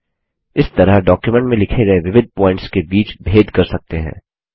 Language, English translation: Hindi, This way one can distinguish between different points written in the document